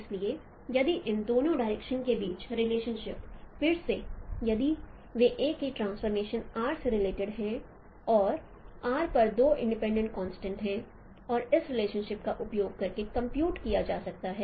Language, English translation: Hindi, So the relationship between these two directions again they are related with the same transformation R and there are two independent constraints on r and it can be computed using this relationship